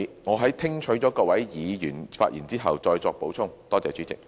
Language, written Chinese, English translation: Cantonese, 我會在聽取各位議員發言後，再作補充。, I will provide a supplementary response after listening to Members speeches